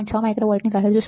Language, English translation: Gujarati, 6 micro volts right